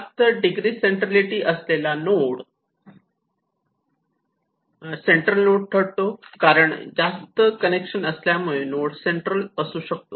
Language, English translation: Marathi, The nodes with higher degree centrality is more central so, because the more connections it have and that is where it becomes more central